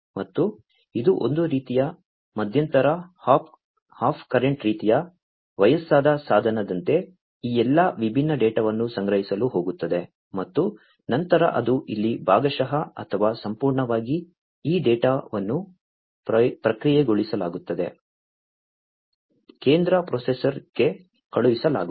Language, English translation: Kannada, And this is sort of like an intermediate hop current kind of like an aged device, which is going to collect all these different data, and then either it will process partially over here or fully this data, is going to be sent to the central processor